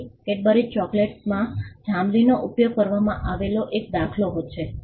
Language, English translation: Gujarati, So, the use of purple in Cadbury chocolates is one such instance